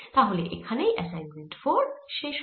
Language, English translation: Bengali, so this completes assignment four for us